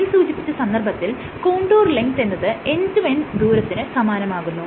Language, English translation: Malayalam, And in this case the total distance or the contour length is significantly higher compared to the end to end distance